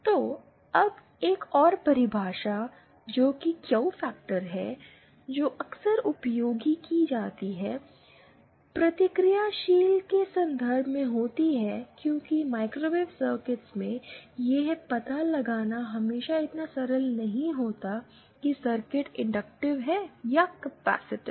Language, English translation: Hindi, So, now one other definition which of the Q factor that is frequently used is in terms of the reactive because in microwave circuits, it is not always so simple to find out whether a circuit is inductive or capacitive